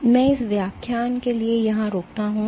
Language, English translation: Hindi, So, with that I stop here for this lecture